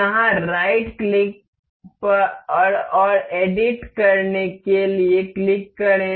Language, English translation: Hindi, Click right click over here and to edit